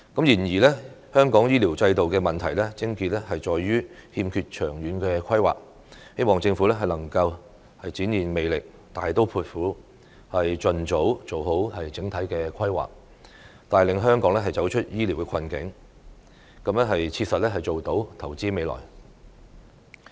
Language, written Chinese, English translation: Cantonese, 然而，香港醫療制度的問題癥結在於欠缺長遠規劃，希望政府能夠展現魄力，大刀闊斧，盡早做好整體規劃，帶領香港走出醫療困局，切實做到投資未來。, However the crux of the problem with the health care system of Hong Kong is the lack of long - term planning . I hope that the Government will demonstrate its determination and courage expeditiously make proper overall planning lead Hong Kong out of the health care dilemma and pragmatically invest for the future